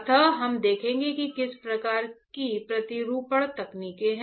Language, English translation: Hindi, So, we will see what kind of patterning techniques are there